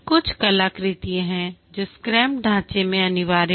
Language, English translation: Hindi, There are some artifacts which are mandated in the scrum framework